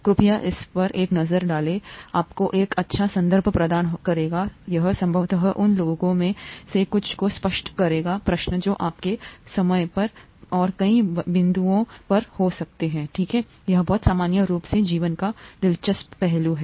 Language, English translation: Hindi, Please take a look at it, it will provide you with a nice context, it will probably clear up quite a few of those nagging questions that you may have had at several points in time and so on, okay, it’s very interesting aspect of life in general